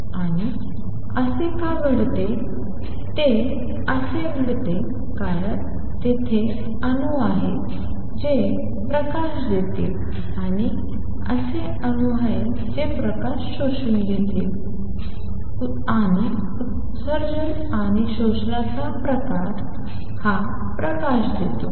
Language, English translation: Marathi, And why does that happen that happens because there are atoms that will be giving out light, and there are atoms that will be absorbing light, and the difference of the emission and absorption gives this light